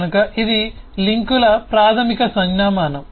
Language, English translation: Telugu, so that is a basic notation of links